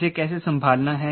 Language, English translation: Hindi, how to handle this